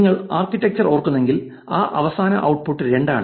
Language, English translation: Malayalam, If you remember the architecture that final output is two